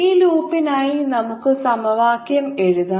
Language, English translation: Malayalam, now we can solve this equation